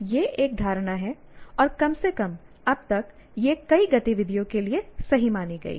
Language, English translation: Hindi, This is an assumption made and at least still now that seems to hold good for many activities